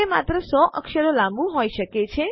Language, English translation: Gujarati, It can only be a 100 characters long